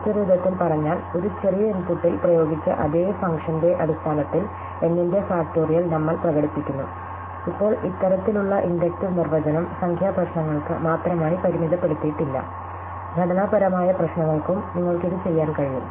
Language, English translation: Malayalam, In other words, we express the factorial of n in terms of the same function applied to a smaller input, now this kind of inductive definition is not restricted only to numeric problems, you can also do it for structural problems